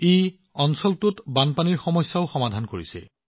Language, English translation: Assamese, This also solved the problem of floods in the area